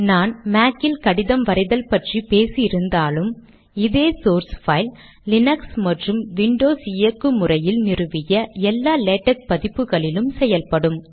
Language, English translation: Tamil, Although I talked about the letter writing process in a Mac, the same source file will work in all Latex systems including those in Linux and Windows operation systems